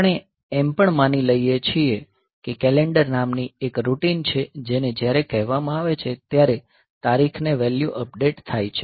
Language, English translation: Gujarati, Also we assume that there is a routine called calendar which when called updates the date value